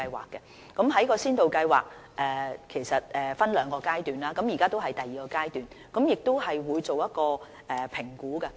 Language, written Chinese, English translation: Cantonese, 其實這些先導計劃是分兩個階段進行的，現時已是第二階段，我們亦會進行評估。, These pilot schemes are divided into two stages and they are already in their second stages by now . We will review all these schemes